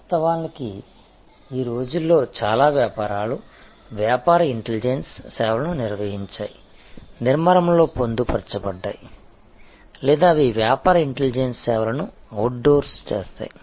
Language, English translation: Telugu, In fact, there is many businesses nowadays have organized business intelligence services, incorporated within the structure or they outsource business intelligence services